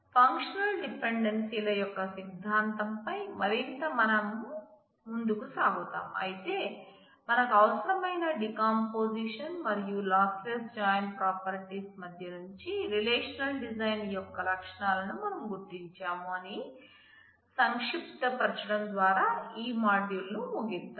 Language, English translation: Telugu, So, we will continue more on the theory of functional dependencies, but let us conclude this module by summarizing that we have identified the features of good relational designs tradeoff between decomposition and lossless join properties that we need